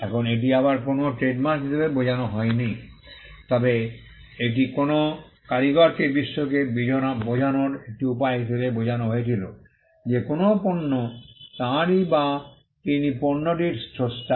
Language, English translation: Bengali, Now, again this was meant not as a trademark, but it was meant as a means for a craftsman to tell the world that a product belongs to him or he was the creator of the product